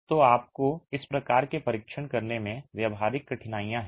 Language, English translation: Hindi, So, you have practical difficulties in performing this sort of a test